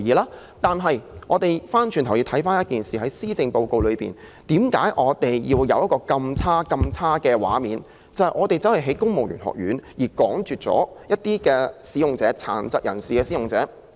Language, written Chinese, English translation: Cantonese, 然而，我倒想問一個問題：為何施政報告會展示如此差勁的畫面，即為了興建公務員學院而趕絕展亮技能發展中心的殘疾人士使用者？, However I have a question How come the Policy Address would have presented such a deplorable picture of driving away the PWDs using SSCs services to make way for the construction of a civil service college at the premises?